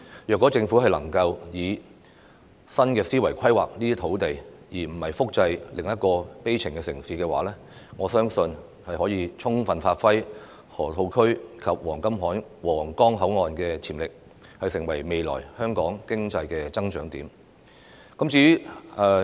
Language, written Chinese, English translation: Cantonese, 如果政府能夠以新思維規劃這些土地，而不是複製另一個悲情城市，我相信可以充分發揮河套區及皇崗口岸的潛力，成為未來香港經濟增長點。, If the Government can make plans for the land with new mindset instead of creating a replica of the tragic city I believe it can give full play to the potential of the Loop and the Huanggang Port Control Point and become a new area of economic growth for Hong Kong in the future